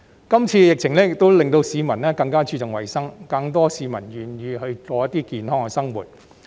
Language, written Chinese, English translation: Cantonese, 今次疫情亦令到市民更加注重衞生，更多市民願意過健康的生活。, The current pandemic has brought heightened awareness to hygiene and more people are willing to lead a healthy life